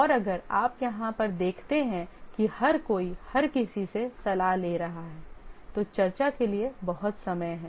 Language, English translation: Hindi, And if you look at here, since everybody is consulting everybody, there is a lot of time goes by for discussing